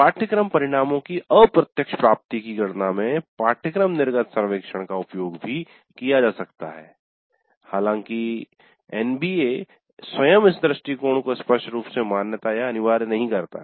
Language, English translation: Hindi, And the course exit survey may also be used in computing indirect attainment of course outcomes though NB itself does not explicitly recognize or mandate this approach